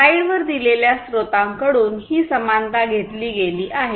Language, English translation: Marathi, So, this analogy has been taken from the source that is given on the slide